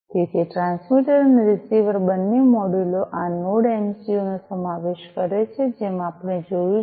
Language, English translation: Gujarati, So, both the transmitter and the receiver modules consist of this NodeMCU as we have seen